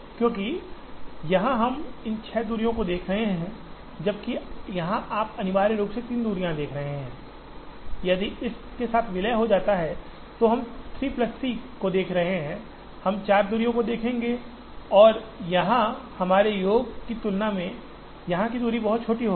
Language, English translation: Hindi, Because, here we are looking at these six distances, whereas here you are looking essentially three distances, if this merges with this, we are looking at 3 plus 3, we will look at 4 distances and it will be much smaller than the sum of the distance here